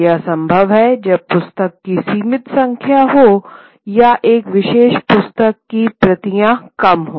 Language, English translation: Hindi, But that is possible when there are finite number of books of copies of a particular book